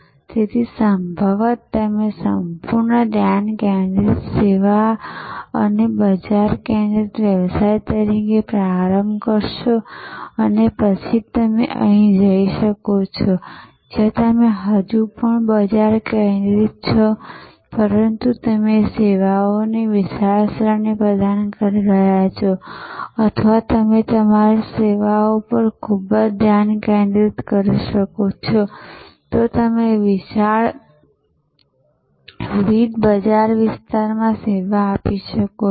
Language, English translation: Gujarati, So, most probably you will start as a fully focused service and market focused business and then you can either move here, where you are still market focused, but you are providing a wide range of services or you can be very focused on your service, but you can serve a wide different market areas